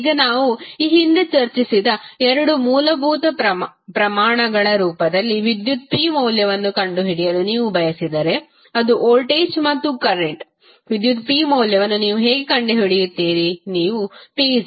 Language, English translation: Kannada, Now, if you want to find out the value of power p in the form of two basic quantities which we discussed previously that is voltage and current